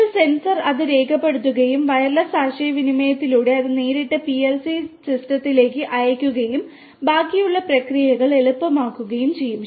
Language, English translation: Malayalam, You can just the sensor records it and through wireless communication, it directly sends to the PLC system and the rest of the process then becomes easier